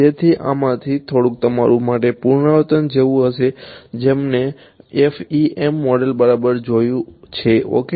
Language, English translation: Gujarati, So, a little bit of this will be more like revision for those of you who have seen the FEM model ok